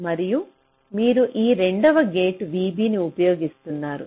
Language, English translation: Telugu, and you are using v b, this second gate